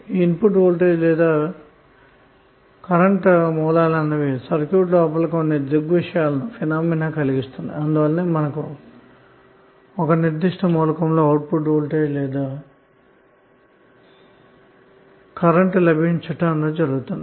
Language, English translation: Telugu, So voltage or current sources is causing some phenomena inside the circuit and as a result that is effect you will get some output voltage or current a particular element